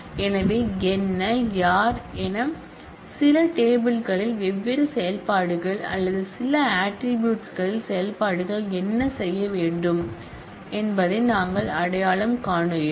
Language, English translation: Tamil, So, what and who, so we identify different operations or different operations on certain tables or operations on certain attributes as what needs to be done